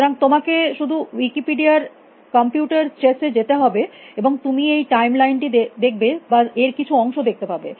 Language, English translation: Bengali, So, you just at ago to Wikipedia at computer chess in you will see this time line or part of this time line